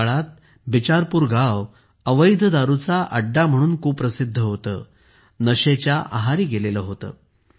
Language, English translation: Marathi, During that time, Bicharpur village was infamous for illicit liquor,… it was in the grip of intoxication